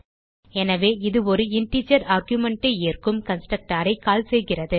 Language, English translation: Tamil, Hence it calls the constructor that accepts single integer argument